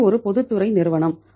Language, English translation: Tamil, It is a public sector company